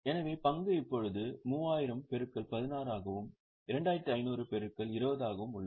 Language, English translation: Tamil, So, the stock is now 3,000 into 16 and 2,500 into 20